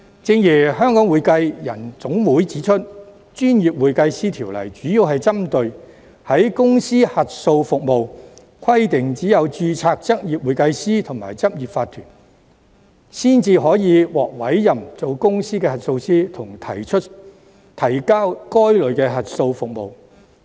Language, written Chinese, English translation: Cantonese, 正如香港會計人員總會指出，《條例》主要針對公司核數服務，規定只有執業會計師和執業法團才可獲委任為公司核數師，以及提交該類的核數報告。, As pointed out by the Hong Kong Accounting Professionals Association the Ordinance mainly deals with corporate auditing service and provides that only certified public accountant and corporate practice can be appointed as a corporate auditor and submit the relevant audit reports